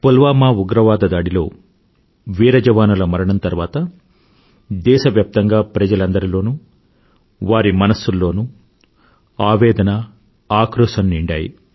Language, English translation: Telugu, As a consequence of the Pulwama terror attack and the sacrifice of the brave jawans, people across the country are agonized and enraged